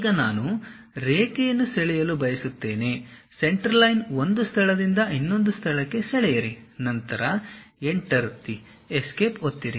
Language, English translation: Kannada, Now, I would like to draw a line, Centerline; draw from one location to other location, then press Enter, Escape